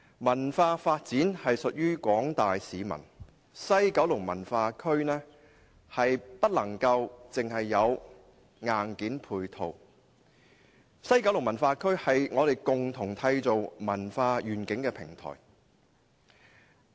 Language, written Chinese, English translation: Cantonese, 文化發展屬於廣大市民，西九文化區不能只講求硬件配套，而是共同締造文化願景的平台。, Cultural development belongs to the general public . WKCD is not merely a matter concerning hardware support for it also serves as a platform for all of us to conjure a cultural vision